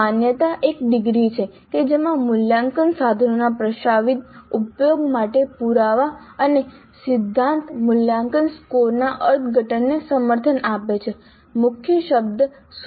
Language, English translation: Gujarati, The validity is the degree to which evidence and theory support the interpretation of evaluation scores for proposed use of assessment instruments